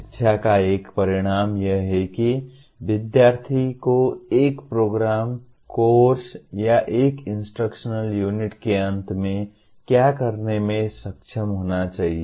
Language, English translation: Hindi, An outcome of education is what the student should be able to do at the end of a program, course or an instructional unit